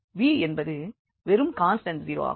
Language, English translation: Tamil, So, we will have again 0 and v was just a constant 0